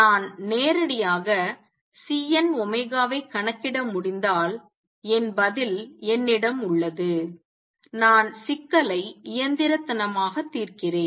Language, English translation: Tamil, If I could calculate C n omega directly I have my answer I solve the problem quantum mechanically